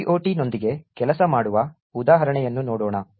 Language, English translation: Kannada, Let us look at an example of working with GOT